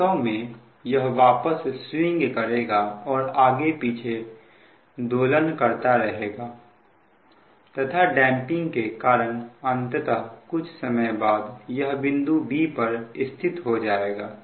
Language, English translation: Hindi, it will swing back and forth, back and forth and, because of the machine damping, finally, after some time it will settle to point b